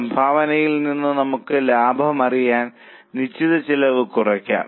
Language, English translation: Malayalam, From contribution we can deduct fixed cost to know the profit